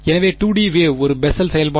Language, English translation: Tamil, So, 2 D wave is a Bessel function